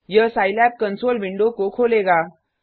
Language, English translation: Hindi, This will open the Scilab console window